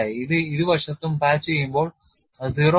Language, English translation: Malayalam, 36 or so when it is patched on both sides it is 0